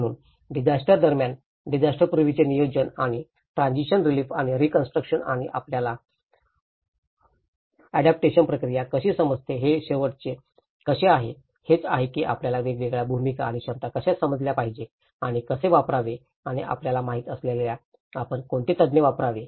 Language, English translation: Marathi, So the pre disaster planning during disaster and the transition relief and the reconstruction and the last how adaptation process you know, that is how we have understood the different roles and the capacities and how to use and when you know, what expertise we should use